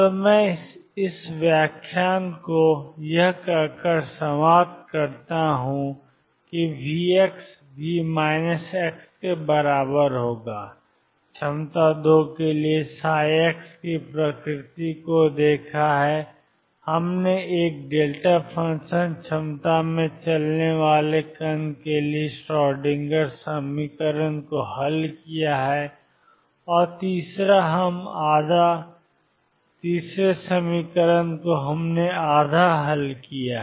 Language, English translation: Hindi, So, let me conclude this lecture by stating that we have looked at the nature of psi x for V x equals V minus x potentials 2, we have solved the Schrodinger equation for a particle moving in a delta function potential and third we have half solved